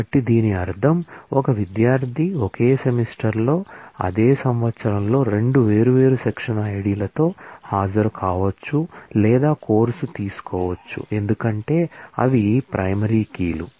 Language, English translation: Telugu, So which means that it is possible that, a student can attend or take a course in the same semester, in the same year with 2 different section IDs because they are primary keys